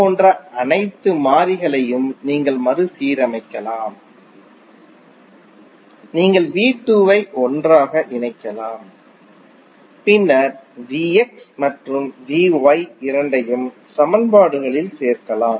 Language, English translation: Tamil, You can rearrange all the variables like V 1 you can put together V 2 you can take together and then V X and V Y in both of the equations